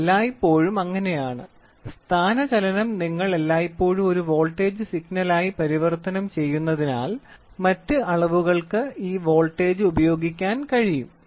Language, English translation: Malayalam, So, it is always like that displacement you always converted into a into a voltage signal, so that this voltage can be used for very other measurements